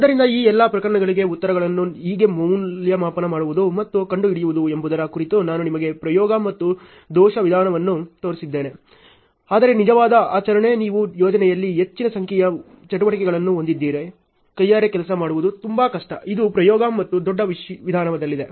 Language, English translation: Kannada, So, for all these cases I have shown you trial and error method on how to evaluate and find out the answers, but in real practice if you are having a large number of activities in a project it is very difficult to work out manually and work it out on trial and error method